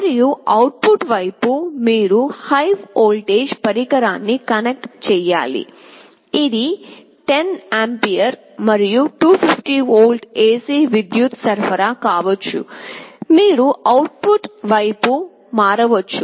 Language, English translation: Telugu, And on the output side, you are supposed to connect a higher power device, this can be 10 ampere and up to 250 volt AC power supply, you can switch ON the output side